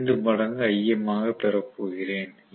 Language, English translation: Tamil, 5 times Im